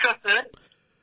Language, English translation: Bengali, Namaste Sir ji